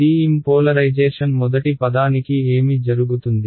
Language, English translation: Telugu, TM polarizations what happens for the first term